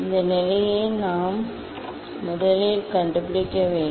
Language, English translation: Tamil, this position we have to find out first